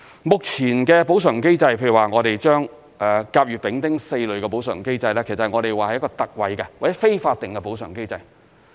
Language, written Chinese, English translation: Cantonese, 目前的補償機制，譬如說甲、乙、丙、丁4類的補償機制，其實是一個特惠或非法定的補償機制。, The current compensation mechanism consists of four compensation zones namely Zones A B C and D It is in fact an ex gratia or non - statutory compensation mechanism offering land owners an alternative to the statutory mechanism